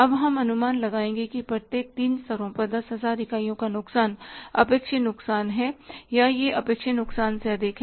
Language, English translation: Hindi, Now we will make a estimate that loss of 10,000 units at each of the three levels is the expected loss or it is more than the expected loss